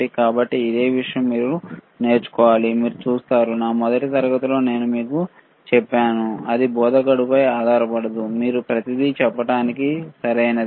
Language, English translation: Telugu, So, that is the same thing that you have to learn, you see, I told you in my first class, that do not rely on instructor to tell you everything, right